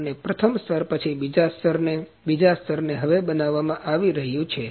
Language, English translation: Gujarati, And after first layer, the other layer, the second layer is now being manufactured